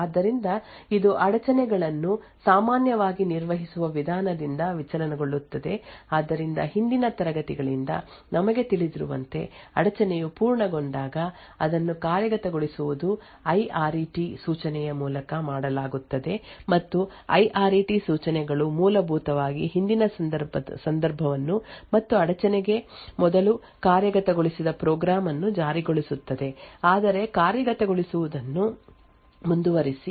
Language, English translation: Kannada, So this deviates from how interrupts are typically managed so as we know from earlier classes that whenever an interrupt completes it execution this is done by the IRET instruction and the IRET instructions would essentially enforce the previous context and the program which was executing prior to the interrupt occurring but continue to execute